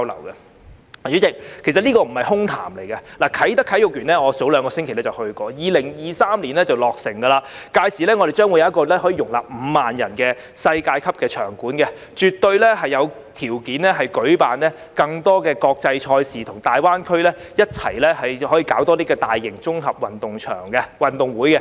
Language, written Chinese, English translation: Cantonese, 代理主席，其實這並不是空談，我早兩星期曾經前往啟德體育園的工地，它將於2023年落成，屆時我們將擁有一個可容納5萬人的世界級場館，絕對有條件舉辦更多國際賽事，可以與大灣區其他城市共同舉辦更多大型綜合運動會。, Deputy President in fact this is not just empty talk . Two weeks ago I visited the construction site of the Kai Tak Sports Park which will be completed in 2023 . By then we will have a world - class stadium with a capacity of 50 000 and we will definitely have the conditions to host more international competitions and co - organize more large - scale integrated sports games with other cities in GBA